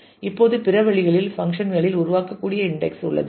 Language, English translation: Tamil, Now, other ways there are index that can be created on functions